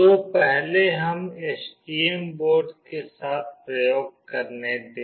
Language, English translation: Hindi, So, let us do this experiment with STM board first